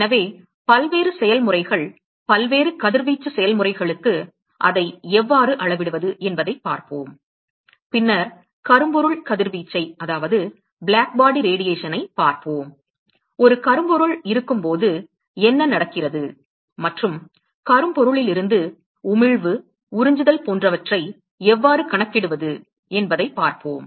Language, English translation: Tamil, So, we look at how to quantify it for various processes, various radiation processes and then we will look at black body radiation, we look at what happens when there is a black body and how to quantify emission, absorption etcetera from a black body